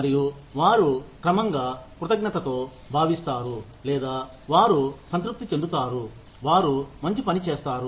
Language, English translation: Telugu, And, they in turn, feel grateful, or, they in turn, feel satisfied, that they have done good work